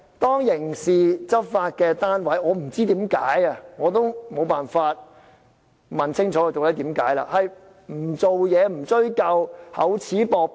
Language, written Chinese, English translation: Cantonese, 當刑事執法單位不知為何，而我沒辦法問清楚究竟為何不處理、不追究、厚此薄彼。, I do not know and there is also no way for me to ask why the criminal enforcement authority refuses to take actions and pursue the issue . This is unfair and discriminatory